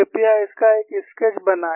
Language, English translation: Hindi, Please make a sketch of this